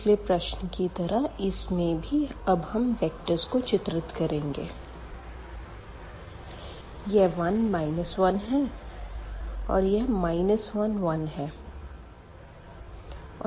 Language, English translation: Hindi, So, similar to the previous case let us draw this vector here 1 minus 1